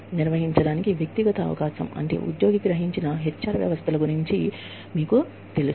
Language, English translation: Telugu, When we talk about, individual opportunity to perform, that is about, you know, employee perceived HR systems